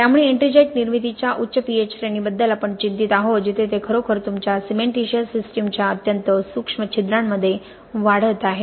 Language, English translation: Marathi, So we are mostly worried about the high pH ranges of ettringite formation where it is actually growing in the extremely minute pores of your cementitious system